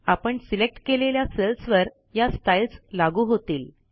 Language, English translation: Marathi, This will apply the chosen style to the selected cells